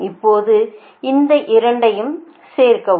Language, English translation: Tamil, now do add these two